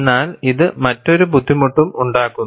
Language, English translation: Malayalam, But this also brings in another difficulty